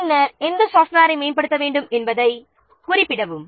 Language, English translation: Tamil, Then specify when to upgrade which software at which point of time